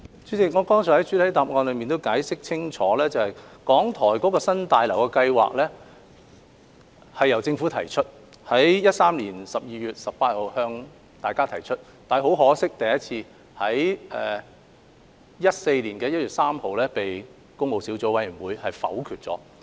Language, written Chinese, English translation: Cantonese, 主席，我剛才在主體答覆已解釋清楚，港台新大樓的計劃由政府在2013年12月18日向立法會提出，但很可惜，該建議在2014年1月3日被工務小組委員會否決。, President as I have clearly explained in the main reply just now a proposal for the construction of the New BH of RTHK was submitted by the Government to the Legislative Council on 18 December 2013 . Regrettably however the proposal was negatived by PWSC on 3 January 2014